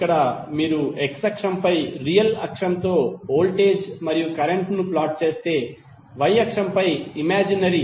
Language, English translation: Telugu, Here, if you plot the voltage and current on the jet plane image with real axis on x axis and imaginary on the y axis